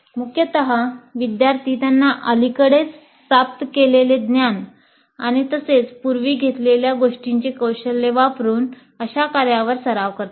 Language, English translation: Marathi, So basically students practice on tasks that require them to use recently acquired knowledge and skills as well as those acquired earlier